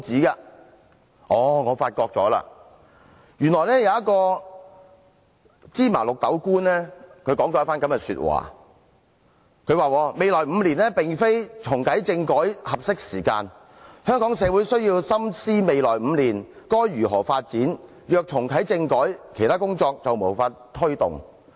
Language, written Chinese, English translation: Cantonese, 後來，我發現原來有一位"芝麻綠豆"官說了一番話，他說未來5年並非重啟政改的合適時間，香港社會需要深思未來5年該如何發展，如果重啟政改，其他工作便無法推動。, Later I learnt about a comment made by a trivial official . He says the next five years is not a good time to reactivate constitutional reform and that Hong Kong needs to think deeply about its way forward and if a constitutional reform is reactivated it will be difficult to take forward other aspects of work